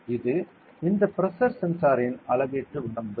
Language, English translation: Tamil, This is the measurement range of this pressure sensor ok